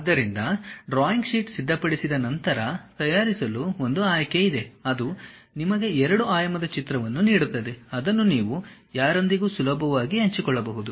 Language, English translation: Kannada, So, once you prepare that there is option to make drawing sheet, you click that it gives you two dimensional picture which you can easily share it with anyone